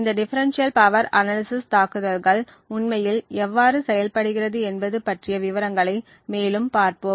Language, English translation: Tamil, So, we will look at more in details about how this differential power analysis attack actually works